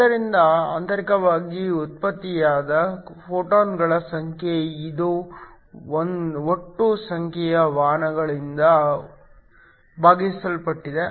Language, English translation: Kannada, So, this is the number of photons that generated internally divided by total number carriers